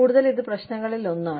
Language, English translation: Malayalam, And, this is one of the problems